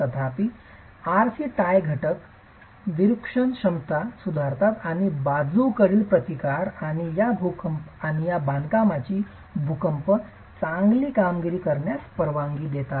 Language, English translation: Marathi, However, the RC tie elements improve the deformation capacity and allow for lateral resistance and good earthquake performance of these constructions